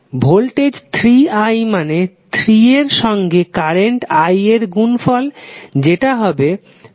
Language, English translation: Bengali, So, voltage is nothing but 3i that is 3 multiplied by the value of current i that come out to be 15cos60 pi t